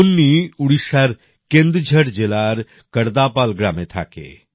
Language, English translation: Bengali, Kunni lives in Kardapal village of Kendujhar district of Odisha